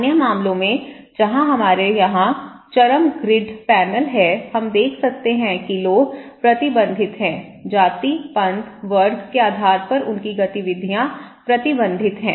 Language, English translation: Hindi, In other case, where extreme we have high grid panel here, we can see that people are restricted; their activities are restricted based on caste, creed, class